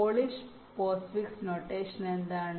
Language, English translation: Malayalam, so what is polish post fix notations